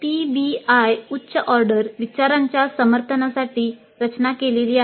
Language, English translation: Marathi, PBI is designed to support higher order thinking